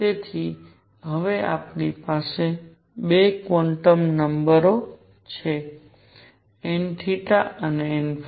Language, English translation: Gujarati, So, this is now we have got 2 quantum numbers, n theta and n phi